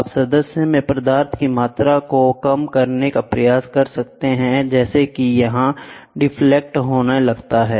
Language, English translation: Hindi, You can try to reduce the amount of material in the member such that it starts deflecting